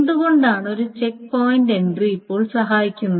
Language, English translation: Malayalam, Why is it that a checkpoint entry will now help